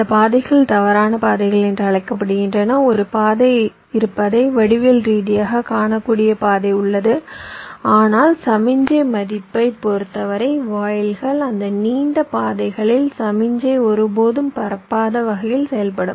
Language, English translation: Tamil, there are path which geometrically you can see there is a path, but with respect to the signal value the gates will work in such a way that signal will never propagate along those long paths